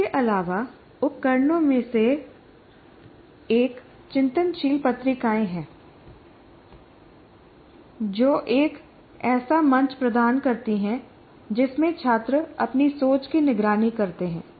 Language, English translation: Hindi, Further, one of the tools is reflective journals providing a forum in which students monitor their own thinking